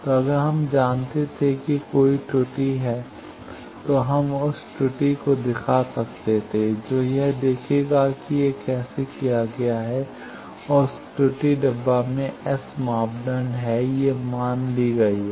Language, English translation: Hindi, So, if we were aware that there is an error we can characterized that error that will see how it is done and in that finding that error box is S parameter these are assumptions made